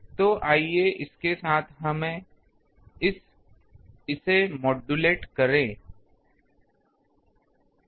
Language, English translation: Hindi, So, let us with this let us modulate that